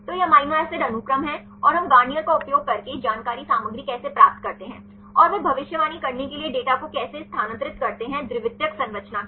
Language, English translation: Hindi, So, this is amino acid is sequence and how we obtain the information content using Garnier, and how they transfer the data to predict the secondary structure